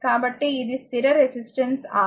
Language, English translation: Telugu, So, this is a fixed resistance R